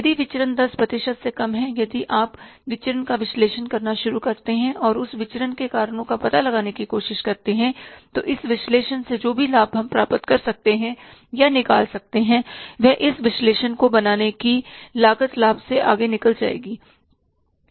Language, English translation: Hindi, If the variance is less than 10%, if you start analyzing the variance and try to find out the reasons for that variance, whatever the benefits we can derive or attain out of this analysis, the cost of making this analysis will outsmart the benefits